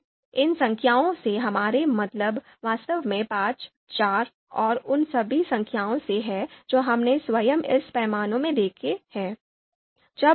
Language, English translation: Hindi, So what we mean you know by these numbers actually 5, 4 and all those numbers that we have seen in this scale itself